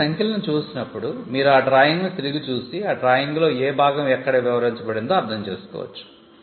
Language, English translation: Telugu, So, it is just how so, when you see these numbers you know you can look back into the drawing and understand which part of the marked drawing is the part that is described here